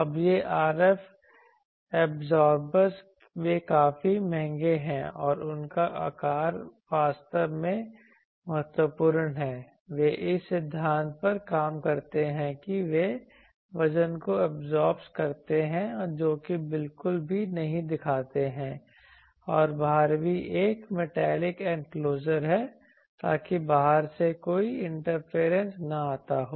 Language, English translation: Hindi, Now this absorbers there RF absorbers, they are quite costly and their size is important actually they work on the principle that they absorb the weight they do not reflect at all and also outside there is a metallic enclosure, so that from outside no a thing comes